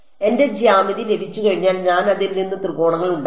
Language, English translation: Malayalam, Once I have got my geometry, I have made triangles out of it